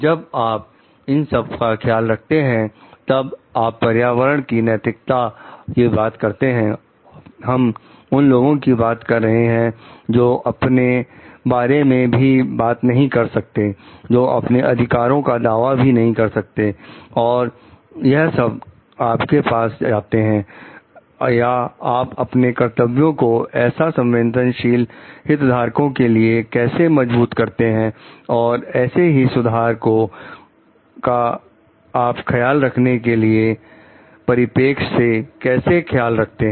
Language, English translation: Hindi, When you are talking of care, you are talking environmentally ethics, we are talking of people who are like not able to speak for themselves, who were not able to like claim for their rights then, it comes off or how do you realize your duty for these like sensitive stakeholders and how do we care for these stakeholders is a caring perspective